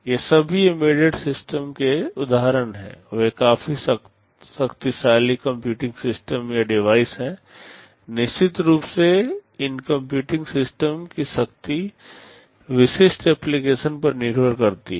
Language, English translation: Hindi, These are all examples of embedded systems, they are fairly powerful computing systems or devices inside them of course, the power of these computing systems depend on the specific application